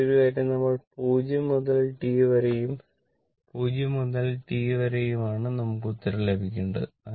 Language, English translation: Malayalam, So, and the another thing is that that that we have to come from 0 to t right from 0 to T you have to come